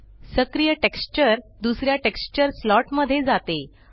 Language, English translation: Marathi, The active texture moves back to the first slot